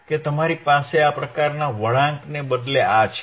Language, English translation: Gujarati, That you have this instead of this kind of curve